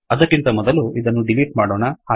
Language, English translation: Kannada, Before we do this, lets delete these